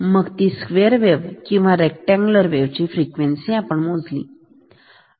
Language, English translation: Marathi, So, that was measuring frequency of a square or rectangular wave